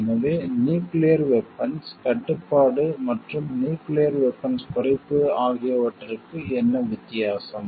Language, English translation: Tamil, So, then what is the difference between nuclear arms control and nuclear disarmament